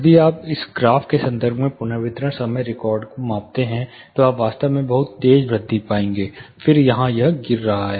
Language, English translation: Hindi, This would actually if you measure the reverberation time record it in terms of a graph, you would actually find a very sharp raise and then it is falling here